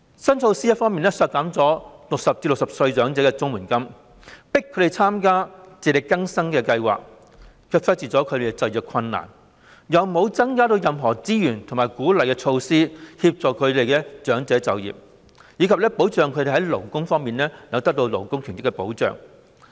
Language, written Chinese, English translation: Cantonese, 新措施一方面削減了60歲至64歲長者的綜援金，迫使他們參加"自力更生計劃"；另一方面，卻忽視了他們的就業困難，沒有增加任何資源和推出鼓勵措施以協助長者就業，並確保他們在勞工權益上受到保障。, On the one hand the new measure will slash the CSSA rate for elderly people aged between 60 and 64 years and force them to take part in the Support for Self - reliance Scheme; and on the other it has neglected their difficulty in finding employment . Nor are there additional resources allocated or incentive measures introduced to assist elderly people in finding employment . And there is no assurance that their labour rights will be protected